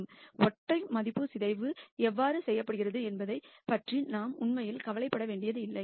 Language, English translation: Tamil, We do not have to really worry about how singular value decomposition is done